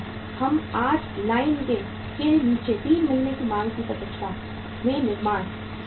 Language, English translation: Hindi, We are manufacturing today in anticipation of the demand 3 months down the line